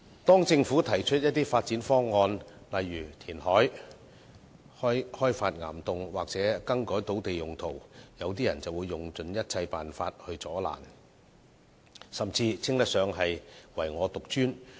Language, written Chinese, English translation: Cantonese, 當政府提出發展方案，例如填海、開發岩洞或更改土地用途時，有些人便會用盡一切辦法加以阻攔，甚至可形容為"唯我獨尊"。, When development proposals were put forward by the Government to for instance carry out reclamation develop rock caverns or change land use some people would exhaust all means to stop the Government or even behave in a supercilious and arrogant manner